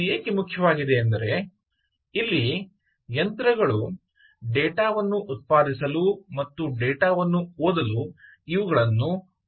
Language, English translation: Kannada, because these are meant for machines to read, machines to generate, machine to generate data and machine to read data